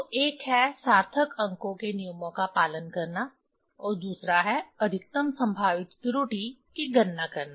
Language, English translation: Hindi, So, one is following the rules of significant figures, and another is calculating the maximum probable error